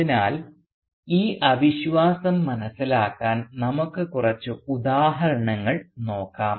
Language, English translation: Malayalam, So to understand this skepticism let us look at a few instances